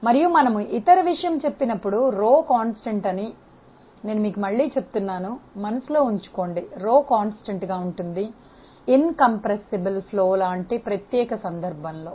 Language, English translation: Telugu, And when we say rho equal to constant the other thing again I am going to hammer on you keep in mind rho equal to constant is a special case of incompressible flow